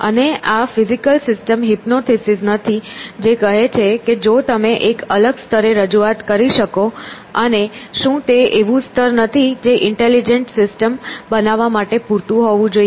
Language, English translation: Gujarati, And this is not the physical system hypothesis says that if you can create a level of representation and is it not that level that should be enough for creating intelligence systems